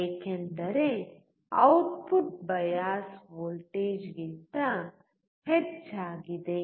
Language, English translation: Kannada, This is because the output is more than the bias voltage